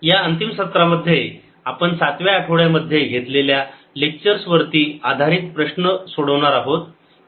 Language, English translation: Marathi, in this final session we are going to solve problems based on the last set of lectures in week seven